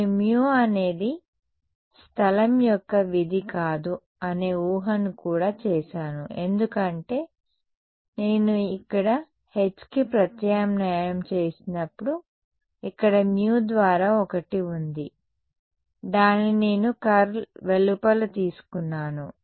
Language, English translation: Telugu, I have also made the assumption that mu is not a function of space, because when I substituted for H over here there was a one by mu over here which I took outside the curl right